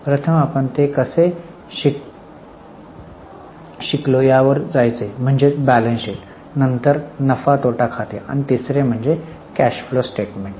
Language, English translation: Marathi, The first one going by how we have learnt it is balance sheet, then profit and loss account and the third one is cash flow statement